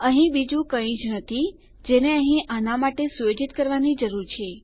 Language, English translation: Gujarati, There is nothing else that we need to set for these